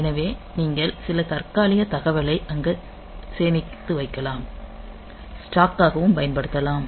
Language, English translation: Tamil, So, you can use some you can store some temporary data there you can use them for stack